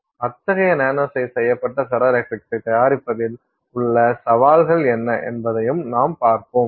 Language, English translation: Tamil, We will also then look at what are the challenges in producing such nano sized ferroelectrics